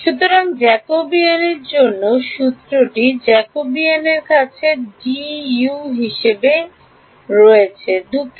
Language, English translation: Bengali, So, formula for Jacobian so, the Jacobian has terms like d u sorry